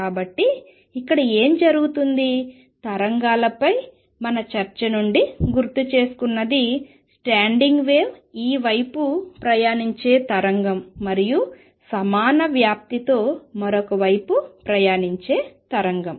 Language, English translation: Telugu, So, what happens here; is recall from our discussion on waves that a standing wave is a wave travelling this way and a wave travelling the other way with equal amplitude